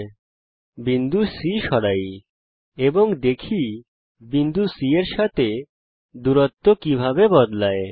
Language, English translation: Bengali, Lets Move the point B, and see how the perpendicular line moves along with point B